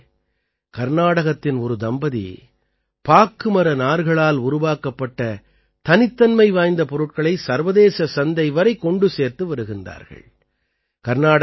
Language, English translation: Tamil, Friends, a couple from Karnataka is sending many unique products made from betelnut fiber to the international market